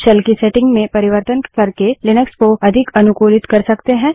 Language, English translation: Hindi, Linux can be highly customized by changing the settings of the shell